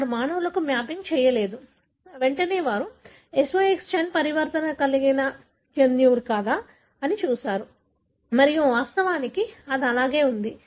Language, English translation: Telugu, They did not do any mapping for the humans, straight away they looked at whether SOX10 is a gene that is mutated and indeed that was the case